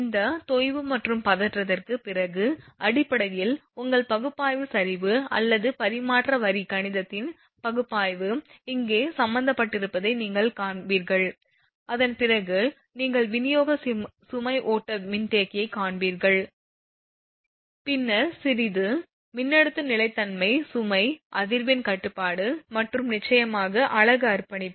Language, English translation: Tamil, After this sag and tension, you will find it is basically your analysis sag and analysis of transmission line mathematics are involved here and after that you will find the distribution load flow capacitor then little bit voltage stability load frequency control and of course, unit commitment